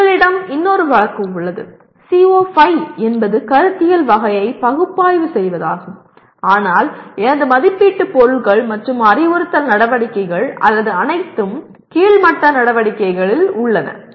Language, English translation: Tamil, Now you have another case, you have CO5 is in analyze conceptual category but I have my assessment items as well as instructional activities or all at the lower level activities